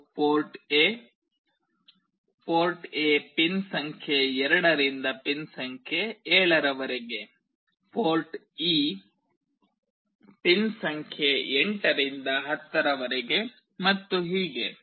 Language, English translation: Kannada, This is port A; port A is from pin number 2 to pin number 7, port E is from pin number 8 to 10, and so on